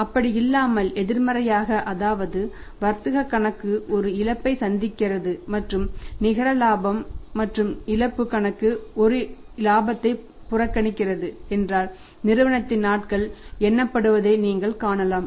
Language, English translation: Tamil, But if the reverse is the case that the trading account is reporting a loss and net profit and loss account is reporting a profit then you can see that the days of the former member